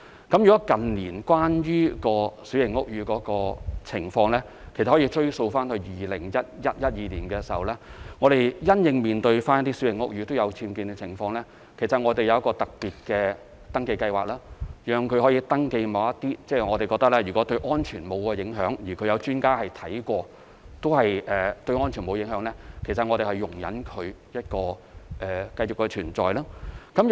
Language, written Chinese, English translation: Cantonese, 近年關於小型屋宇的情況，其實可以追溯至2011年、2012年，因應小型屋宇僭建的情況，我們有一項特別的登記計劃，由業主向屋宇署申報其僭建物，如果我們認為有關僭建物對安全沒有影響，而專家視察過也認為對安全沒有影響，我們會容忍它繼續存在。, The situation of small houses in recent years can actually be traced back to 2011 or 2012 when in response to the UBWs among small houses we introduced a special registration scheme under which the owners could register their UBWs with BD . If in our view and also the experts after inspection the UBWs do not pose any safety hazards we will allow their existence